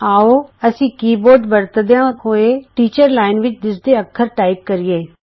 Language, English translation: Punjabi, Let us type the character displayed in the teachers line using the keyboard